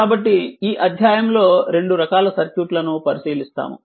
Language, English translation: Telugu, So, in this chapter, we will examine your 2 types of circuit